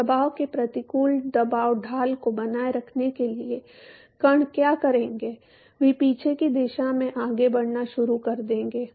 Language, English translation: Hindi, So, in order to keep up with the pressure adverse pressure gradient what the particles will do is they will start moving in the backward direction